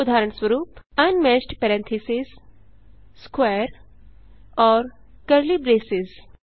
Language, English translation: Hindi, For Example: Unmatched parentheses, square and curly braces